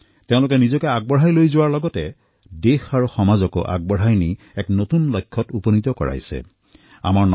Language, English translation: Assamese, Not only has she advanced herself but has carried forward the country and society to newer heights